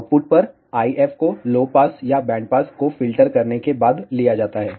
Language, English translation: Hindi, At the output, the IF is taken after filtering either low pass or band pass